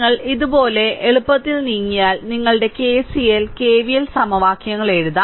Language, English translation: Malayalam, So, if you if you move like this, so easily you can write down your what you call that your KCL KVL equation